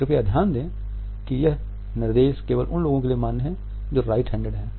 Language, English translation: Hindi, Please note that this direction is valid only for those people who are right handed